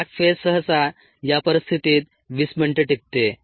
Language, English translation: Marathi, the lag phase usually last twenty minutes